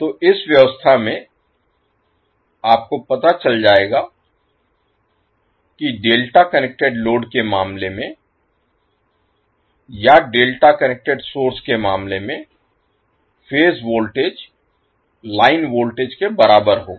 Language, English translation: Hindi, So here if you this particular arrangement, you will come to know that in case of delta connected load or in case of delta connect source the phase voltage will be equal to line voltage